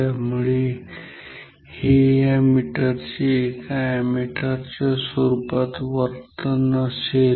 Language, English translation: Marathi, So, this is the behaviour of this meter as an ammeter ok